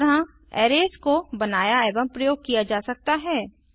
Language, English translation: Hindi, This way, arrays can be created and used